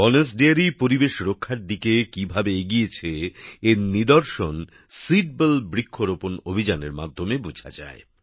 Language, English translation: Bengali, How Banas Dairy has also taken a step forward in the direction of environmental protection is evident through the Seedball tree plantation campaign